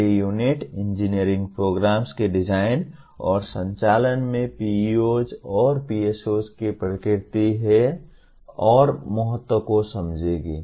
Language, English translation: Hindi, The next unit will look at understanding the nature and importance of PEOs and PSOs in design and conduct of engineering programs